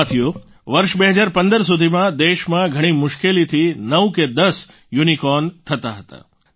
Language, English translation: Gujarati, till the year 2015, there used to be hardly nine or ten Unicorns in the country